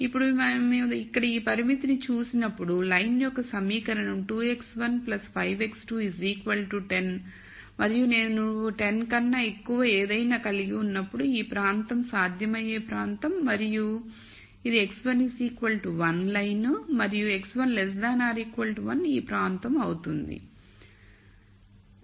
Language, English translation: Telugu, Now, when we look at this constraint here then the equation of the line is 2 x 1 plus 5 x 2 equals to 10 and whenever I have something greater than equal to 10, this region is a feasible region and this is the x 1 equal to 1 line and x 1 less than equal to 1 would be this region